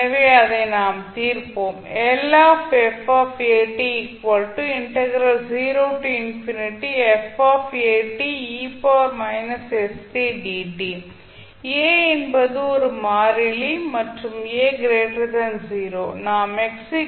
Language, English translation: Tamil, So, a is constant and a is greater than 0